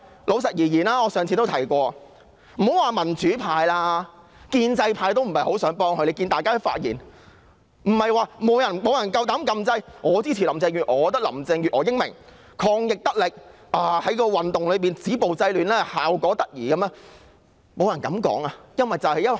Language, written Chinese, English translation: Cantonese, 且不說民主派，建制派也不想幫她，只要看看議員的發言便知曉，沒有議員敢按掣發言支持林鄭月娥，說林鄭月娥英明、抗疫得力、在反修例運動中止暴制亂的效果得宜，沒有人這樣說。, The pro - establishment camp does not want to help her let alone the democratic camp . You know this when you see how Members have spoken . No Member dares to press the button and speak in support of Carrie LAM; nor dares any Member to say that she is smart and competent in her efforts to fight the epidemic or she has done a good job in stopping violence and curbing disorder in the movement against the proposed legislative amendments